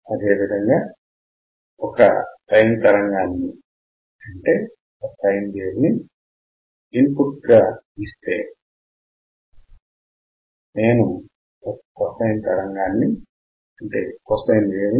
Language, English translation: Telugu, Same way sine wave, I can get cosine wave with indicator as well